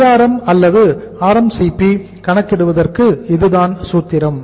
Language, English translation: Tamil, This is the formula for calculating the Drm or RMCP